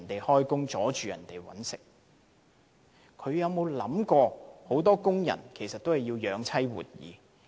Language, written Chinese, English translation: Cantonese, 他們有沒有想過很多工人也要養妻活兒？, Have these Members considered that many workers have to work to support their families?